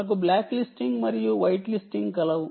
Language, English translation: Telugu, we have black listing, white listing